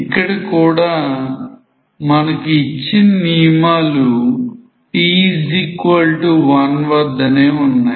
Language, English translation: Telugu, Here also the condition is provided at t equals 1